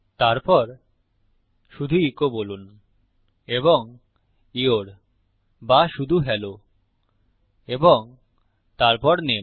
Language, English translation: Bengali, Then just say echo and Your or just Hello and then name